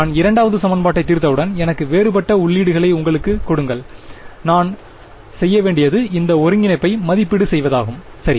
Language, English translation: Tamil, Once I solve equation 2 give me any number of different inputs all I have to do is evaluate this integral right